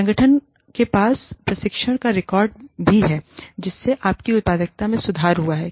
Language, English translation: Hindi, The organization also has a record of the training, having improved your productivity